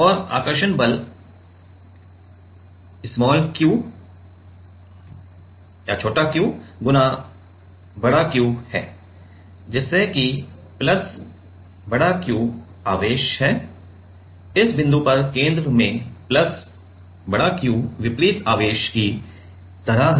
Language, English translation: Hindi, And attractive force is q Q so that plus Q charge is, at this point right at the center plus Q like the opposite charge